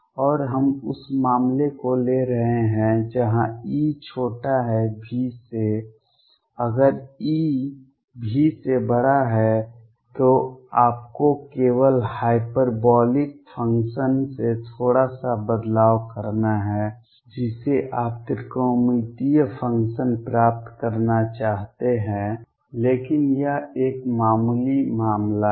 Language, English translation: Hindi, And we are taking the case where E is less than V if E is greater than V all you have to do is make a slight change from the hyperbolic function you want to get a trigonometric functions, but that is a trivial case